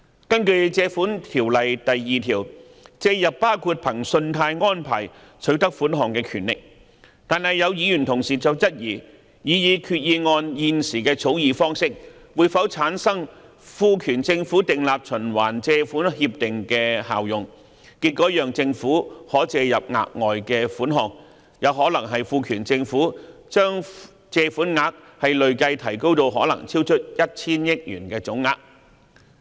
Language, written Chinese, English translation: Cantonese, 根據《條例》第2條，"借入"包括憑信貸安排取得款項的權力，但有議員質疑擬議決議案現時的草擬方式會否產生賦權政府訂立循環借款協定的效用，結果讓政府可借入額外款項，有可能賦權政府將借款額累計提高至可能超出 1,000 億元的總額。, Under section 2 of the Ordinance borrow includes the power to draw upon a credit facility . But some Members have queried whether the proposed Resolution as presently drafted would have the effect of authorizing the Government to enter into a revolving loan agreement with the result of the Government being allowed to raise additional borrowings which might authorize the Government to raise borrowings for an amount which cumulatively may exceed 100 billion in total